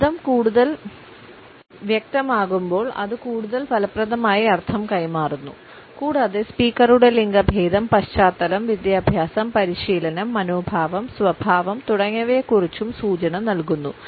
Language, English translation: Malayalam, The clearer the voice the more effectively it will convey the meaning and it also informs us of the speaker’s gender, background, education, training, attitude, temperament etcetera